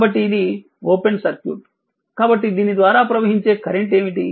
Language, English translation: Telugu, So, this is this is open circuit, so what is the current flowing through this the i